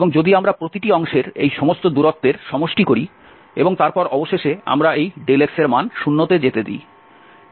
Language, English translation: Bengali, And if we sum all these distances of every pieces, and then this we let finally that this delta x goes to 0